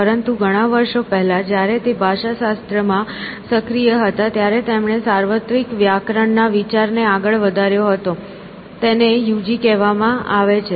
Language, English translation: Gujarati, But, many years ago when he was active in linguistics he put forward the idea of universal grammar; so, UG, that it is called